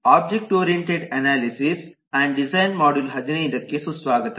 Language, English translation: Kannada, welcome to module 15 of object oriented analysis and design